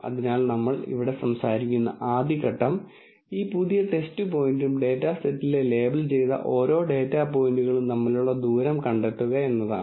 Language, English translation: Malayalam, So, the very first step which is what we talk about here, is we find a distance between this new test point and each of the labelled data points in the data set